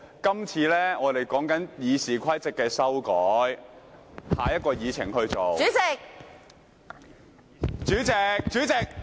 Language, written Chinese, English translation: Cantonese, 今次我們討論修改《議事規則》，下一項議程便會進行。, Today we shall have a discussion on amending the Rules of Procedure which is the next item on the Agenda